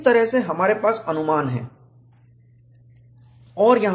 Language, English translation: Hindi, That is the way we have approximation